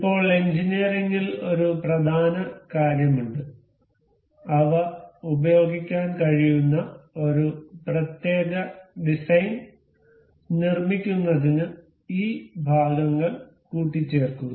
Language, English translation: Malayalam, So, now there is an important thing in engineering to assemble those parts to make one particular full design that may be used